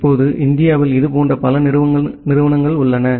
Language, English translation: Tamil, Now in India we have multiple such institutes